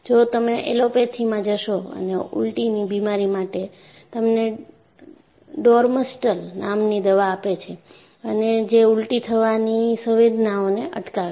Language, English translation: Gujarati, See, if you go to allopathy, if you are vomiting, they would give you Domstal and arrest your sensation for vomiting